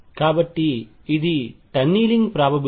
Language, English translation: Telugu, So, this is tunneling probability